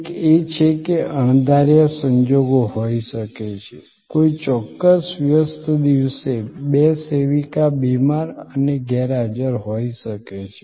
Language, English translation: Gujarati, One is that, there can be unforeseen circumstances, may be on a particular busy day two servers are sick and absent